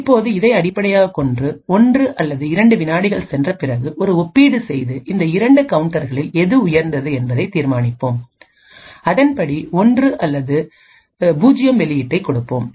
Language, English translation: Tamil, Now based on this we would make a comparison after say 1 or 2 seconds and determine which of these 2 counters is higher and according to that we would give output of 1 or 0